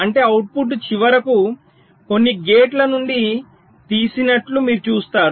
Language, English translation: Telugu, so which means, you see, the outputs are finally taken out from some gates